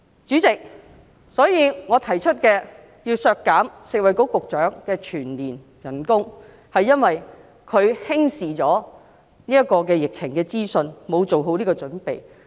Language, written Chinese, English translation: Cantonese, 主席，我提出削減食物及衞生局局長的全年薪酬，是因為她輕視疫情資訊，沒有做好準備。, Chairman I propose to reduce the annual salary of the Secretary for Food and Health because she has neglected the epidemic information and has not made good preparation